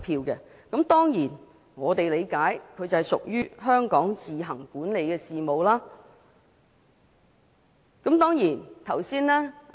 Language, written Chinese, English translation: Cantonese, 我們當然理解這屬於香港自行管理的事務。, We certainly understand that the Chief Executive Election is an affair which Hong Kong administers on its own